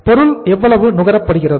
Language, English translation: Tamil, How much is the material consumed